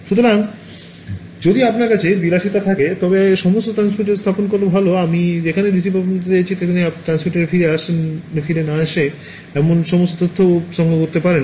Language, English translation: Bengali, So, if you have the luxury it is better to put transmitters everywhere I mean receivers everywhere so that you can collect all of the information that does not come back to the transmitter